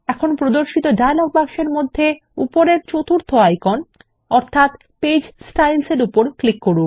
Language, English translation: Bengali, Now in the dialog box which appears, click on the 4th icon at the top, which is Page Styles